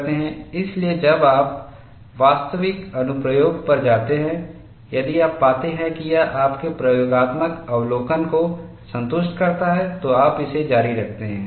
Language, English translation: Hindi, So, when you go to actual application, if you find it satisfies your experimental observation, you carry on with it